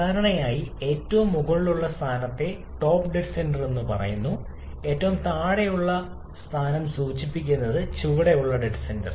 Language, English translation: Malayalam, Generally, the top most position is referred as the top dead centre and the bottom most position refers to the bottom dead centre